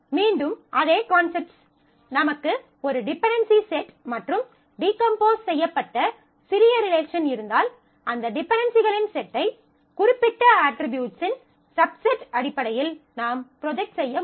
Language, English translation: Tamil, So, again the same set of concepts that, if I have a set of dependencies and you have a decomposed relation then smaller relation, then I can project that set of dependencies, in terms of a particular subset of the attributes and here is the condition that is given